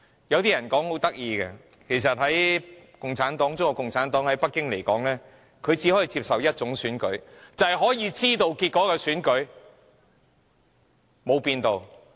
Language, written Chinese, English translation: Cantonese, 有些人說得很有趣，指中國共產黨只能接受一種選舉，便是可以預知結果的選舉，多年未變。, There is an amusing comment that the Communist Party of China CPC only accepts one kind of election that is the election with a predictable result and this mentality has remained unchanged over the years